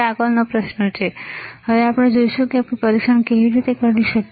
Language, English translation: Gujarati, There is the next question, how we can test